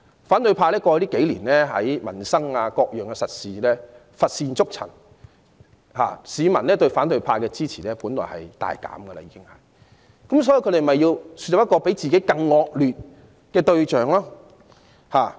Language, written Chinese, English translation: Cantonese, 過去數年，反對派在民生和各樣實事上乏善足陳，本來市民對其支持度已大減，因此他們要豎立一個比自己更差劣的對象。, In the past few years the opposition camp did not have any achievements on livelihood - related and other practical issues . Originally their public support had significantly diminished . Therefore they had to identify a target for criticism which did an even worse job than them